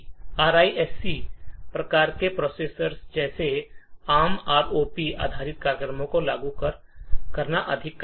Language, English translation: Hindi, In RISC type of processors like ARM implementing ROP based programs is much more difficult